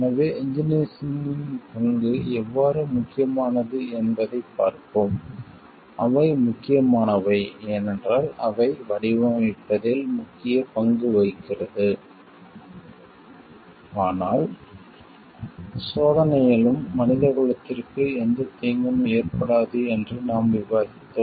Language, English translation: Tamil, So, let us see how the role of engineers are important so, they were important, because they are not only as we discussed its playing a major role in designing, but also in testing so, that no harm reaches the mankind